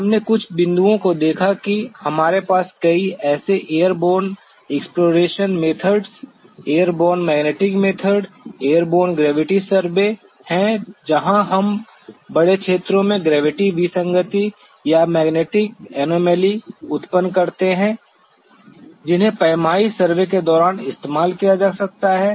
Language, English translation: Hindi, We saw some of the points that we do have many such airborne exploration methods airborne magnetic method, airborne gravity survey where we generate gravity anomaly or magnetic anomaly of large regions which can be used during the reconnaissance survey